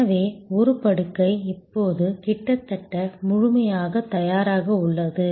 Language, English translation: Tamil, So, one bed was for the person now almost fully prepared